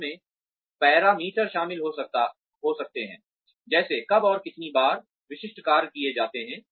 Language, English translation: Hindi, Which may include parameters like, when and how often, specific tasks are performed